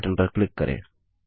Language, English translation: Hindi, Click on Next button